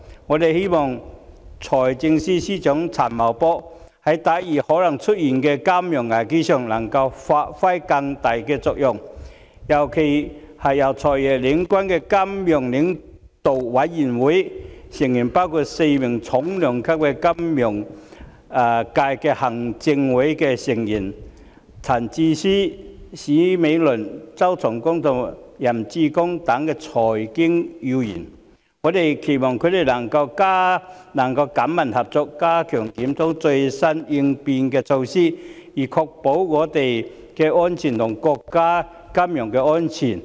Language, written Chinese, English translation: Cantonese, 我們希望財政司司長陳茂波在抵禦可能出現的金融危機方面，能夠發揮更大的作用，尤其是由"財爺"領軍的金融領導委員會，成員包括4名重量級的金融界行政會議成員，分別為陳智思、史美倫、周松崗和任志剛，以及財經要員，我們期望他們能緊密合作，加強檢討最新的應變措施，以確保我們和國家的金融安全。, We hope that Financial Secretary Paul CHAN can play a greater role in cushioning off a possible financial crisis particularly through the Financial Leaders Forum led by the Financial Secretary himself members of which include four heavy weight Executive Council Members from the financial industry namely Mr Bernard CHAN Mrs Laura CHA Mr CHOW Chung - kong and Mr Joseph YAM as well as prominent members of the financial and monetary sectors . We hope that they can closely cooperate among themselves and make greater efforts to review the latest contingency measures to ensure local and national financial safety